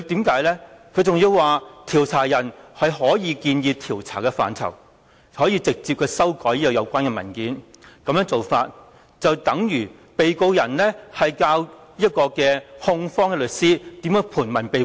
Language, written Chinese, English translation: Cantonese, 他還辯稱受查人可以建議調查的範疇，並直接修改有關文件，但這其實無異於被告教唆控方律師如何盤問被告。, He even argued that the subject of inquiry should be allowed to suggest areas of study and directly amend the relevant document . However this is no different from a defendant abetting the prosecution counsel how to conduct cross - examination